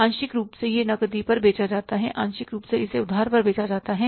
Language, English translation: Hindi, Partly it is sold on the cash, partly it is sold on credit